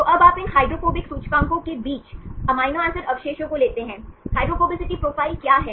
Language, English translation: Hindi, So, now you take the amino acid residues versus these hydrophobic indices, what is a hydrophobicity profile